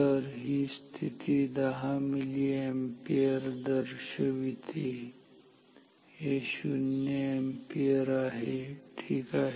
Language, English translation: Marathi, So, this position indicates 10 milliampere, this is 0 ampere ok